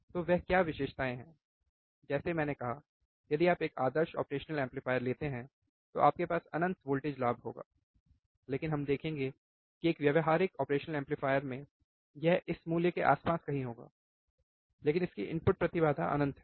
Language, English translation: Hindi, So, what are those characteristics like I said if you take a ideal operational amplifier, then you have infinite of voltage gain we will see, but practical operation amplifier it would be somewhere around this value, in input impedance is infinite